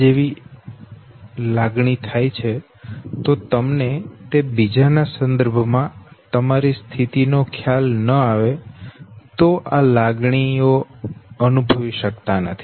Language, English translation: Gujarati, Now these emotions cannot be experienced if you do not realize your position with respect to others okay